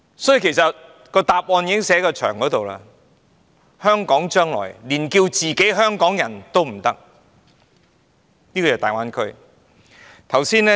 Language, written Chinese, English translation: Cantonese, 因此，答案其實已寫在牆上，香港市民將來再不可自稱"香港人"，而要說是"大灣區人"。, Hence the answer has actually been written on the wall that is Hong Kong citizens should call themselves Greater Bay Area people instead of Hong Kong people in the future